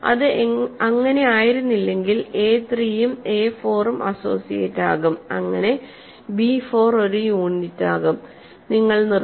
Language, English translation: Malayalam, If it was not a 3 and a 4 would be associates, so b 4 would be a unit and you would have stopped